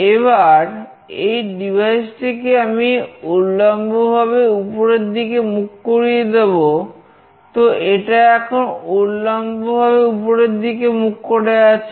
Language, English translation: Bengali, Now, I will make this device vertically up, so it is vertically up now